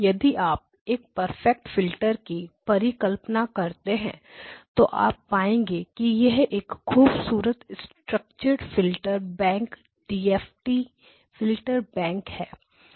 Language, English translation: Hindi, You will find that actually if you assume perfect filters you can show that this is a beautifully structured filterbank DFT filterbank